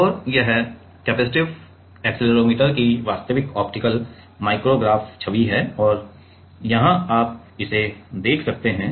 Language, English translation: Hindi, And, this is the real optical micrograph image of the capacitive accelerometer and here you can see that